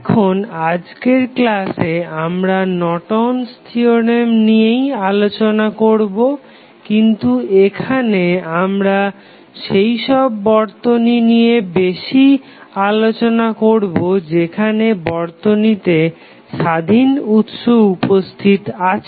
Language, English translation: Bengali, Now, in today's class we continue our discussion on Norton's theorem, but in this class we will discuss more about the cases where we have independent sources available in the circuit